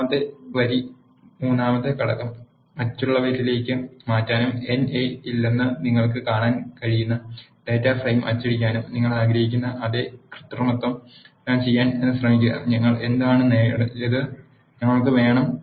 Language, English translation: Malayalam, Now try doing the same manipulation you want to change the third row third element to others and print the data frame you can see that there is no NA anymore and we achieved what we want